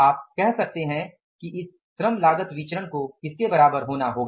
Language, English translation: Hindi, You can say that it is a labor cost variance has to be equal to what